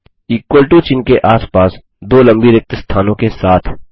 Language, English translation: Hindi, With two long gaps surrounding the equal to symbol